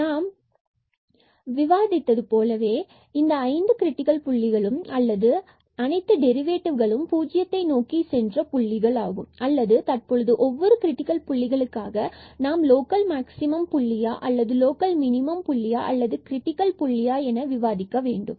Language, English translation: Tamil, So, as discussed, so we have these 1 2 3 4 5 these 5 critical points or the points where both the derivatives vanished and now we have to discuss for each critical point that whether it is a point of local minimum or it is a point of local maximum or it is a critical point